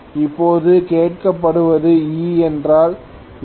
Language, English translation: Tamil, Now what is being asked is what is E